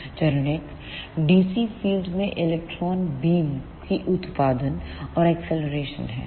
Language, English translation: Hindi, Phase one is generation and acceleration of electron beam in a dc field